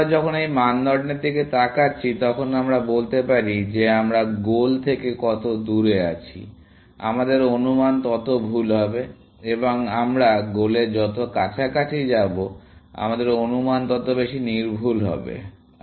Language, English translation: Bengali, When we are looking at this criterion, we are saying; is that the farther we have from the goal; the less accurate our estimate is, and the closer we go towards the goal, the more accurate our estimate becomes